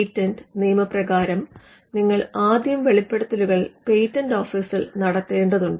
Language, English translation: Malayalam, Patent law requires disclosures to be made first to the patent office